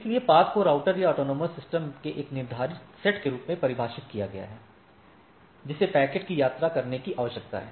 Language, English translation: Hindi, So, the path is defined as a ordered set of routers or autonomous systems that the packet needs to travel through